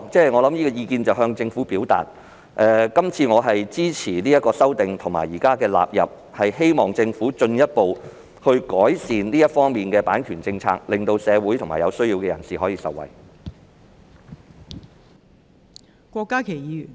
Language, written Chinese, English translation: Cantonese, 不論怎樣，我想向政府表示，我會支持將修正案納入《版權條例》，並希望政府進一步改善版權政策，令社會及有需要人士可以受惠。, This is unacceptable . In any event I want to tell the Government that I support the inclusion of the amendments to the Copyright Ordinance . Also I hope that the Government will further improve its copyright policy so that the community at large and people in need will benefit